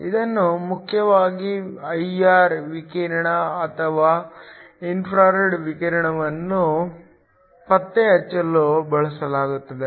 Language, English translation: Kannada, This is mainly used for detecting I R radiation or infrared radiation